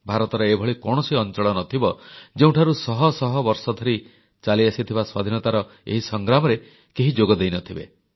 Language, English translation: Odia, There must've been hardly any part of India, which did not produce someone who contributed in the long freedom struggle,that spanned centuries